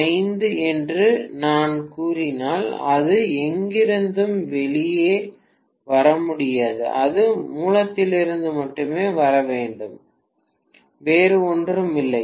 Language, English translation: Tamil, 42 into 10 power 5, it cannot come out of nowhere, it has to come from the source only, nothing else